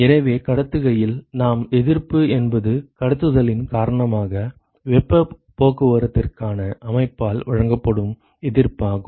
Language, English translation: Tamil, So, note that in conduction we said the resistance is the resistance offered by the system for heat transport right due to conduction